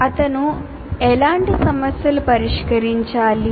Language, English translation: Telugu, So what kind of problem should he solve